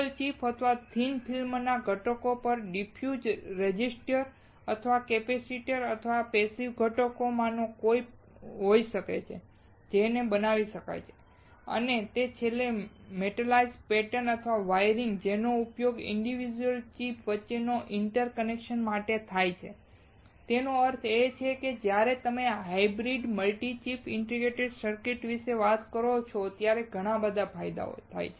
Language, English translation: Gujarati, Diffuse resistors or capacitors on a single chip or thin film components can be of some of the passive components, that can be fabricated and finally the metalized pattern or wiring is used for interconnection between the individual chip; that means, that there are several advantages when you talk about hybrid multi chip integrated circuits